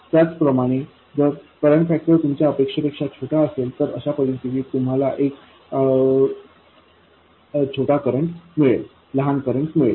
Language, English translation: Marathi, Similarly, if the current factor is smaller than you expected, so in this case you will get a smaller current